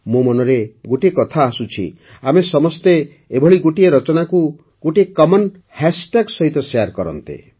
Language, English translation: Odia, One thing comes to my mind… could we all share all such creations with a common hash tag